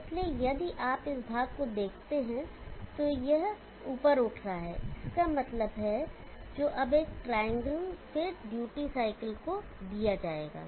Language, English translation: Hindi, So if you look at this portion it is a rising up means now that is given to a triangle and then to the duty cycle